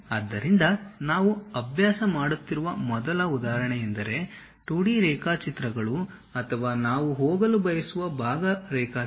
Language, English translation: Kannada, So, first example what we are practicing is 2D sketches or part drawing we would like to go with